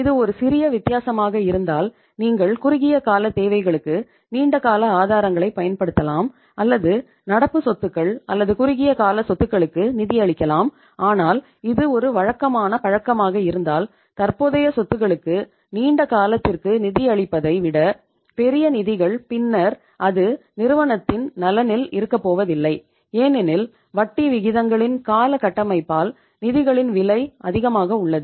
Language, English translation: Tamil, If it is a marginal difference you can use the long term sources for the short term requirements or funding the current assets or short term assets but if it is a regular habit more say the magnitude is bigger of the funding the current assets with the long term funds then it is not going to be in the interest of the firm because cost of the funds is higher because of the term structure of interest rates